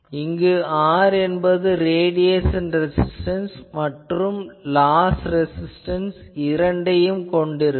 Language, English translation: Tamil, So, this R is comprising both radiation resistance as well as the loss resistance